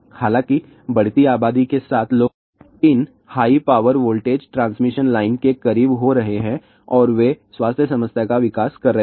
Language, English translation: Hindi, However, with growing population people are getting closer to these high power transmission line and they are developing health problem